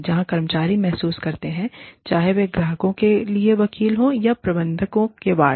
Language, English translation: Hindi, Where the employees feel, whether they are advocates for the clients, or wards of managers